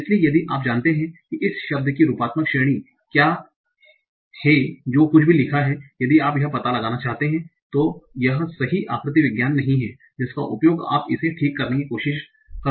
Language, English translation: Hindi, So if you know what is the morphological category of this word in the whatever is written, if you can find out this is not the correct morphology that is used, you can try to correct it